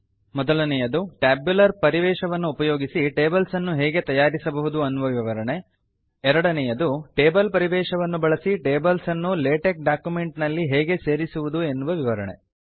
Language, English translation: Kannada, The first is to explain how to create tables using the tabular environment the second objective is to explain how to include tables in latex documents using the table environment